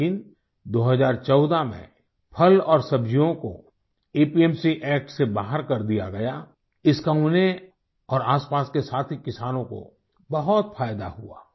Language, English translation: Hindi, But, in 2014, fruits and vegetables were excluded from the APMC Act, which, greatly benefited him and fellow farmers in the neighborhood